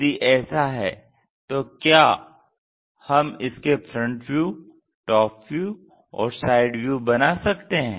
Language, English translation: Hindi, If that is the case can we be in a position to draw a front view, a top view, and a side view